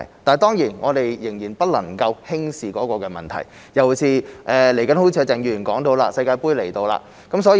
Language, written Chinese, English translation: Cantonese, 當然，我們仍然不能夠輕視問題，尤其是正如鄭議員所說，世界盃將至。, But of course we cannot take the problem lightly . In particular as Mr CHENG said the World Cup is approaching